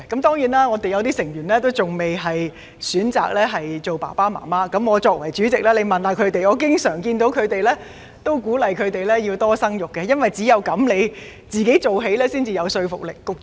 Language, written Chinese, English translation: Cantonese, 當然，我們有些成員仍未選擇做父母，而我作為主席，亦經常鼓勵他們要多生育，因為只有由自己做起，才有說服力。, It is for sure that some of the DAB members have not yet chosen to be parents and as the DAB Chairman I often encourage them to have more children because we have to take action and set an example in order to convince people